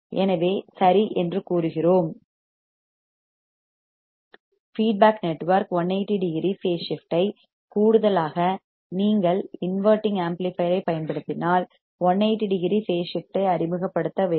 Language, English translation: Tamil, So, we say be all right there is feedback network should introduce 180 degree phase shift in addition to 180 degree phase shift introduced by inverting amplifier if you are using inverting amplifier this ensures positive feedback